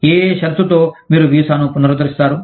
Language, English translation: Telugu, On what condition, would you renew the visa